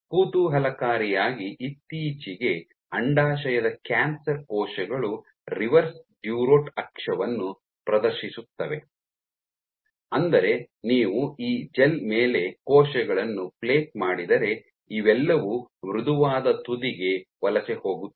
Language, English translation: Kannada, Intriguingly very recently it was observed that ovarian cancer cells exhibit reverse durotaxis which means that if you plate cells on these gels you would find all of them tend to migrate towards the softened